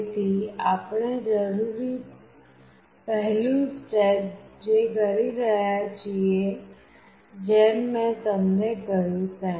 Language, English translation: Gujarati, So, what we are doing the first step that is required is as I told you